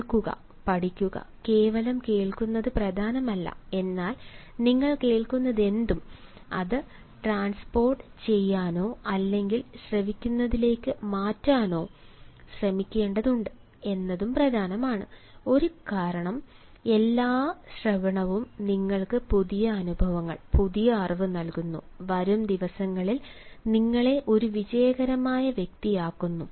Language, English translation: Malayalam, it is not important simply to hear, but is also important that whatever you hear, you try to transport or transfer it to listening, because all listening gives you a new experiences, new knowledge and makes you a successful person in the days to come